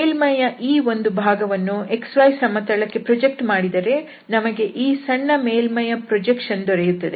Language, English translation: Kannada, And suppose this one piece of the surface is projected on the xy plane in this case, then we have this projection of that small surface